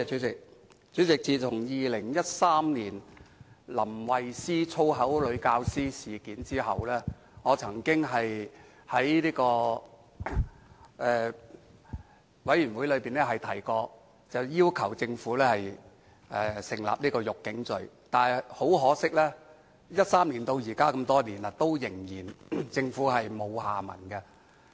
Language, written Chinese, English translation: Cantonese, 主席，在2013年林慧思的"粗口女教師"事件後，我曾在相關的事務委員會上要求政府訂立"辱警罪"，但很可惜 ，2013 年至今已經多年，政府依然沒有下文。, President subsequent to the incident in 2013 in connection with the use of foul language by LAM Wai - sze a female teacher I requested the Government at a Panel meeting to legislate for the offence of insulting police officers . But unfortunately many years have passed since 2013 and no action has been taken by the Government